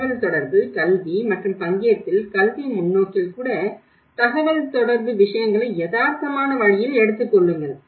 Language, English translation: Tamil, Then the communication, communicate, educate and participate for the real so, even in the education perspective, in the communication, take things in a realistic way